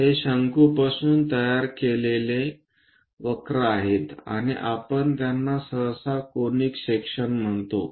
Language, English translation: Marathi, These are the curves generated from a cone, and we usually call them as conic sections